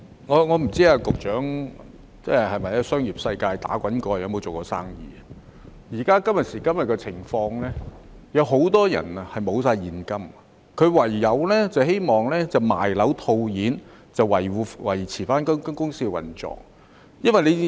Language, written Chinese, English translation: Cantonese, 我不知道局長曾否在商業世界打滾，有否做過生意，今時今日，很多人都已沒有現金，唯有希望賣樓套現，以維持公司的運作。, I do not know if the Secretary has ever worked in the business world or whether he has ever engaged in any commercial business . Today many people do not have any cash . Their only hope is to cash out their properties so that their business can be maintained